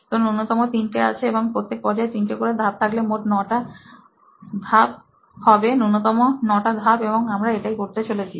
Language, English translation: Bengali, So bare minimum is 3, 3 and 3 so you will have a total of 9 steps in all, minimum number of 9 steps, so that is what we are going to do